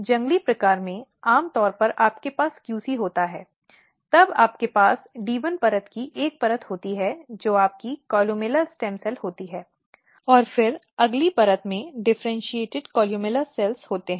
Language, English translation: Hindi, So, this is wild type in wild type, typically you have QC then you have one layer of D 1 layer which is your columella stem cells, and then next layer is your columella cell differentiated columella cells